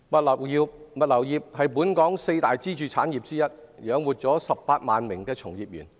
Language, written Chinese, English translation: Cantonese, 物流業是本港四大支柱產業之一，養活了18萬名從業員。, Logistics supporting 180 000 employees is one of the four pillar industries of Hong Kong